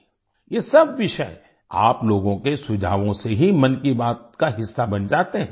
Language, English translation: Hindi, All these topics become part of 'Mann Ki Baat' only because of your suggestions